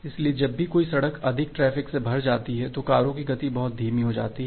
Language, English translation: Hindi, So, whenever a road become congested then the speed of the cars becomes very slow